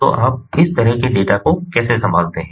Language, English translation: Hindi, so how do you handle such data